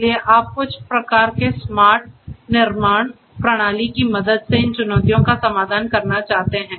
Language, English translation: Hindi, So, you want to address these challenges with the help of some kind of a smart manufacturing system